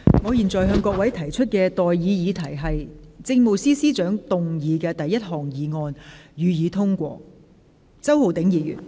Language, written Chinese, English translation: Cantonese, 我現在向各位提出的待議議題是：政務司司長動議的第一項議案，予以通過。, I now propose the question to you and that is That the first motion moved by the Chief Secretary for Administration be passed